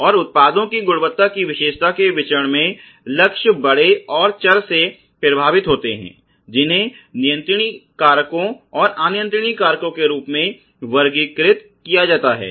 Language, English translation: Hindi, And the targets in the variance of the products quality characteristic are by and large affected by the variables which classified as controllable factors and uncontrollable factors